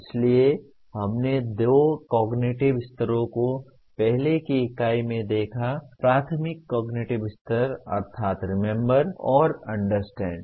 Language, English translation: Hindi, So we looked at the two cognitive levels, elementary cognitive levels namely Remember and Understand in the earlier unit